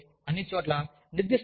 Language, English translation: Telugu, And, that are, all over the place